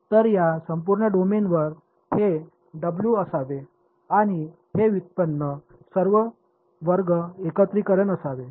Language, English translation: Marathi, So, over this entire domain this W should be W and this derivative should be square integrable right